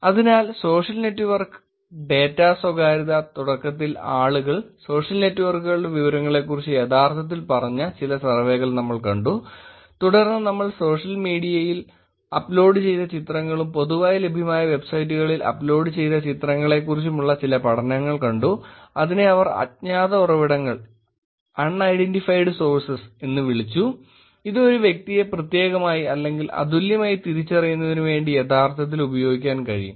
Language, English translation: Malayalam, Therefore, social network data privacy, initially we saw some survey where people actually said about their information of the social networks, then we looked at some studies where pictures uploaded on social media and pictures uploaded on these publicly available websites which they called as unidentified sources can be actually used to find a person specifically or uniquely identify an individual